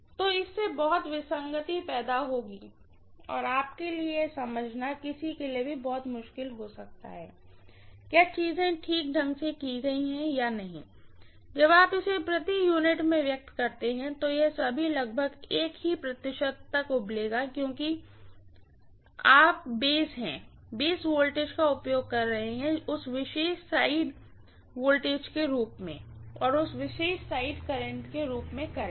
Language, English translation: Hindi, So it will lead to a lot of discrepancy and it may be very, very difficult for you for anybody to understand whether things have be done properly or not, when you express it in per unit all of them will boiled down to same percentage roughly because you are using the base voltage as that particular side voltage and current as that particular side current, that is about it, okay